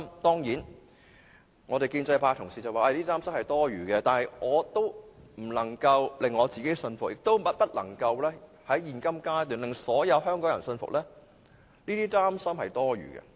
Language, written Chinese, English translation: Cantonese, 當然，建制派議員說這些擔心是多餘的，但我仍不能令自己信服，亦不能在現階段令所有香港人信服這些擔心是多餘的。, Of course the pro - establishment Members will say that there is no need to worry about all this but still I cannot convince myself . Neither can I convince all Hong Kong people that such concerns are unnecessary